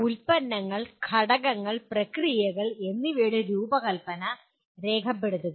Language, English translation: Malayalam, Document the design of products, components, and processes